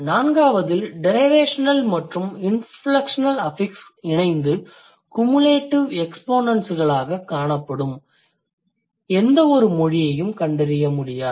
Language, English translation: Tamil, So, the fourth generalization says derivational and inflectional affixes do not have jointly cumulative exponents